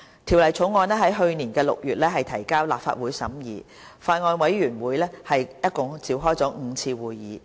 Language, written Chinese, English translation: Cantonese, 《條例草案》在去年6月提交立法會審議。法案委員會共召開了5次會議。, The Bill was introduced into the Legislative Council in June last year and subsequently the Bills Committee has held five meetings in total